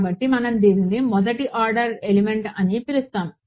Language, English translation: Telugu, So, we will call this a first order element